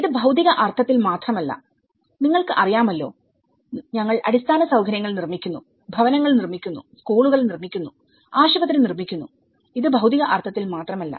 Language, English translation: Malayalam, It is not just in the physical sense, you know that we build infrastructure, we build housing, we build the schools, we build hospitals, this is not just only in the physical sense